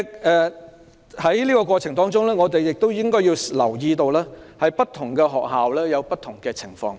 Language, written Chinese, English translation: Cantonese, 在實施過程中，我們也要留意，不同學校會出現不同的情況。, In the process of implementation we must also pay attention to the different situations that may arise in different schools